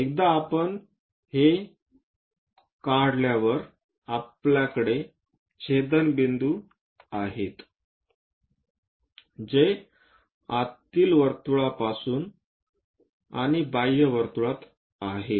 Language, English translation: Marathi, Once we are doing after that, we have these intersection points which are away from the inner circle and into that outer circle